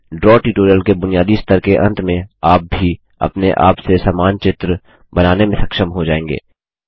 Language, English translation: Hindi, At the end of the basic level of Draw tutorials, you will also be able to create a similar diagram by yourself